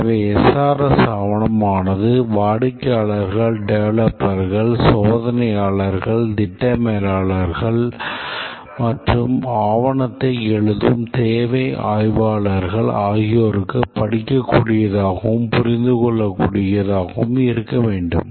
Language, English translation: Tamil, The SRS documents should be readable and understandable to the customers, the developers, the testers, the project managers and of course the requirement analysts, they write the document